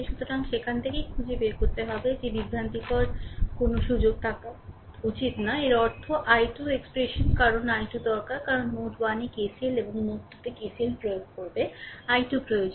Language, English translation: Bengali, So, from that you can find out there should not be any scope of confusion right so; that means, i 2 expression because i 2 is needed, because we will apply KCL at node 1 and KCL at node 2 so, i 2 is needed